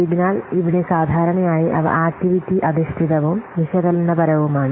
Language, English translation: Malayalam, So, here normally they are activity based and analytical